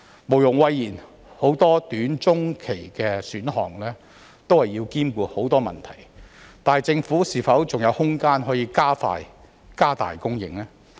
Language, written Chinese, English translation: Cantonese, 毋庸諱言，許多短、中期的選項均要兼顧很多問題，但政府是否還有空間可以加快、加大供應？, Undeniably there are many considerations before adopting the various short - and medium - term options but is there still room for the Government to speed up the process and increase the supply?